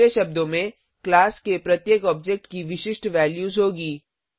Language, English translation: Hindi, In other words each object of a class will have unique values